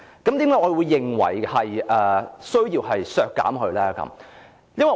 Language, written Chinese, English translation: Cantonese, 為何我認為有需要削減呢？, Why do I think there is a need for such a cut?